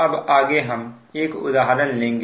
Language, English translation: Hindi, so next is will take an example now